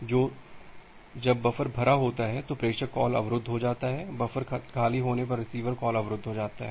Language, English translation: Hindi, So, the sender call gets blocked when the buffer is full, the receiver call gets blocked when the buffer is empty